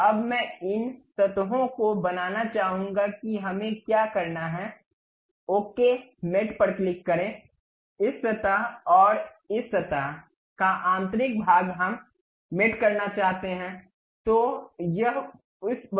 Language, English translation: Hindi, So, now, I would like to really mate these surfaces what we have to do, click ok mate, this surface and internal of this surface we would like to mate